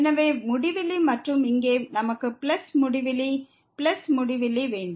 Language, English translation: Tamil, So, infinity and here also we have plus infinity plus infinity